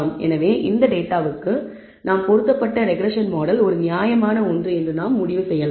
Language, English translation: Tamil, And therefore, we can conclude that regression model that we have fitted for this data is a reasonably good one